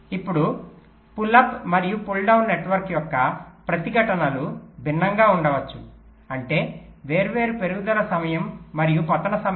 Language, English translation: Telugu, now the resistances of the pull up and pull down network may be different, which means different rise time and fall times